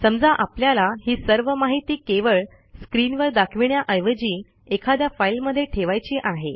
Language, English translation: Marathi, Instead of just displaying all these information on the screen, we may store it in a file